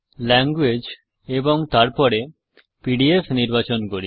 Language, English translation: Bengali, Let us choose language and then PDF